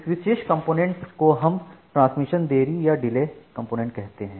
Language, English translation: Hindi, So, this particular delay component we call it the Transmission Delay component